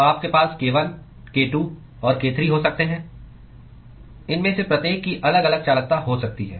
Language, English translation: Hindi, So, you can have k1, k2 and k3 each of these could have different conductivities